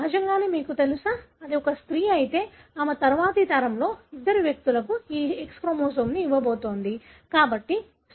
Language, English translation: Telugu, Obviously you know, if it is a female, then she is going to give this X chromosome to two individuals in the next generation